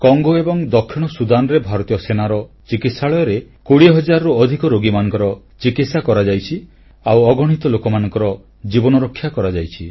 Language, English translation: Odia, In Congo and Southern Sudan more than twenty thousand patients were treated in hospitals of the Indian army and countless lives were saved